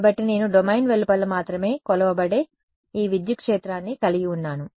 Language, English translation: Telugu, So, I have this electric field that is measured only outside the domain